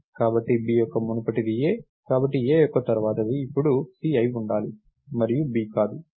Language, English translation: Telugu, So, a's successor should now be c and not b